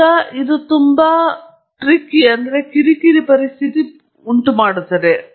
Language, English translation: Kannada, Now, that makes it a very tricky situation